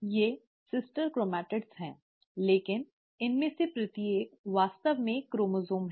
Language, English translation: Hindi, These are sister chromatids, but each one of them is actually a chromosome